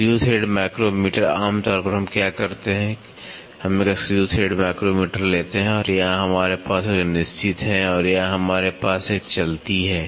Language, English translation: Hindi, Screw thread micrometer generally what we do is we take a screw thread micrometer and here we have a fixed one and here we have a moving one